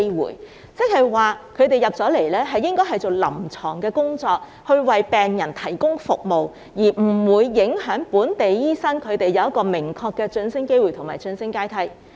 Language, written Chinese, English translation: Cantonese, 換言之，輸入的醫生主要做臨床工作，為病人提供服務，而不會影響本地醫生的明確晉升機會及晉升階梯。, In other words the imported doctors will mainly be engaged in clinical duties and providing services to patents which will not affect the definite promotion prospects and career ladder of local doctors